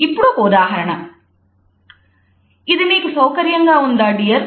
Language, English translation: Telugu, Does this feel comfortable to you dear